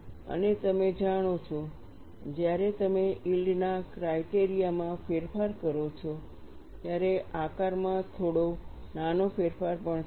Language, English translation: Gujarati, And you know, when you change the yield criteria then also there would be some small change in the shape, it is unavoidable